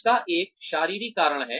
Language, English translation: Hindi, There is a physiological reason for it